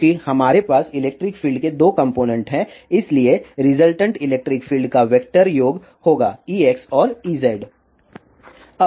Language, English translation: Hindi, Since, we have two components of electric field so the resultant electric field will be vector sum of E x and E z